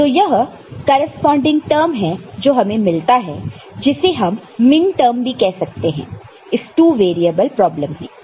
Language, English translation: Hindi, So, these are the corresponding term that we get which is called also minterm in this two variable problem